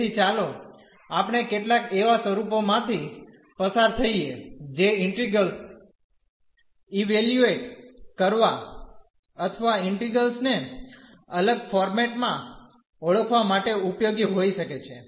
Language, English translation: Gujarati, So, let us just go through some forms that could be useful to evaluate the integrals or to recognize integrals in a different format